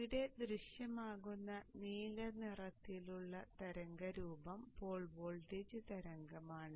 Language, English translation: Malayalam, So see here that the blue colored waveform is the pole voltage waveform that appears here